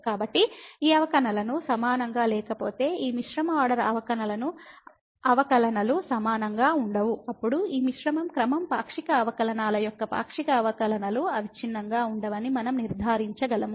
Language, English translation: Telugu, So, if these derivatives are not equal this mixed order derivatives are not equal, then we can conclude that the partial derivatives these mixed order partial derivatives are not continuous